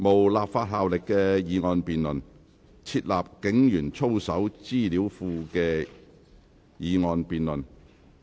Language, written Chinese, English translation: Cantonese, 本會現在進行"設立警員操守資料庫"的議案辯論。, The Council is now conducting the motion debate on Setting up an information database on the conduct of police officers